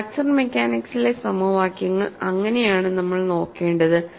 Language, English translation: Malayalam, And that is how we will have look at the equations in fracture mechanics